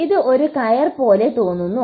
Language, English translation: Malayalam, This looks like a rope